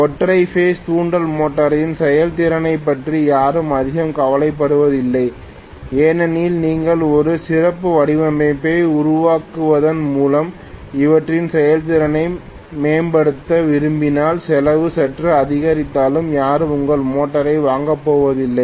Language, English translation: Tamil, Nobody cares too much about the efficiency of the single phase induction motor because if you want to improve their efficiency by making a better design, even if the cost increases slightly nobody is going to buy your motor